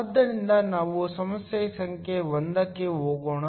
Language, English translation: Kannada, So, let us go to problem number 1